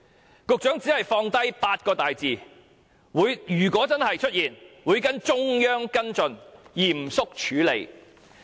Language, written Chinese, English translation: Cantonese, 然而，局長只是放下8個大字——如果真的出現，會跟——"中央跟進，嚴肅處理"。, Nevertheless the Secretary only said those few words―if it really happens he will―follow up with the Central Government and deal with the matter seriously